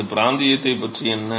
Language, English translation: Tamil, what about this region